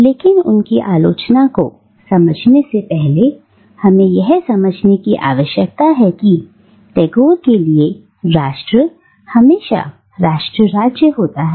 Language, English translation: Hindi, But in order to understand his criticism you will need to understand that, for Tagore, nation is always, or almost always, nation state